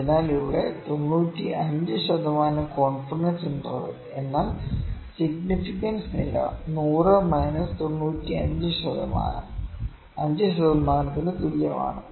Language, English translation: Malayalam, So, here 95 percent confidence interval means, the significance level is 100 minus 100 plus this actually minus 5 percent is equal to 500 minus 95 percent is equal to 5 percent